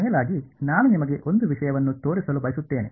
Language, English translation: Kannada, And moreover I just want to show you one thing